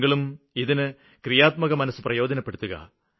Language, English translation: Malayalam, You also utilize your creative mind